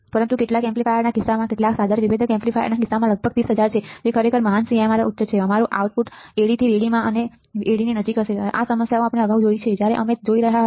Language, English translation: Gujarati, But in case of in case of some of the amplifiers, some of the instrumentation and difference amplifier this is about 300000 that is really great CMRR high our output will be close to AD in to VD we have seen the problems earlier, when we were looking at CMRR right we have solved the problems